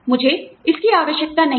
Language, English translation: Hindi, I do not need that